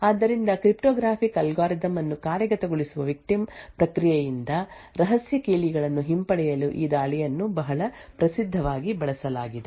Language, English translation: Kannada, So this attacks has been used very famously retrieve a secret keys from a victim process which is executing a cryptographic algorithm